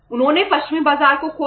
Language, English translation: Hindi, They lost the western market